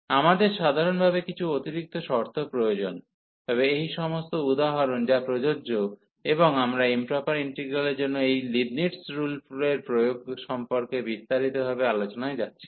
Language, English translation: Bengali, We need some extra conditions in general, but all these examples that is applicable and we are not going much into the details about the applicability of this Leibnitz rule for improper integrals